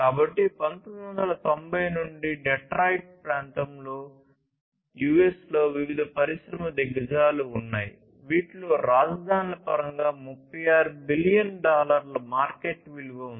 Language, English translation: Telugu, So, like going back to the 1990s, there were different industry giants in the Detroit area, in US, which had a combined market value of 36 billion dollars in terms of capitals